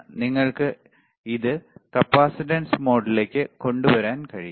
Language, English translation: Malayalam, And you can bring it to capacitance mode